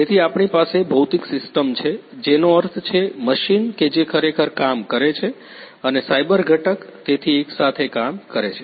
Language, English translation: Gujarati, So, we have the physical system; that means, the machine which is actually performing the work and the cyber component so, working hand in hand